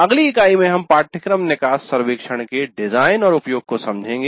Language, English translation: Hindi, And in the next unit we'll understand the design and use of course exit survey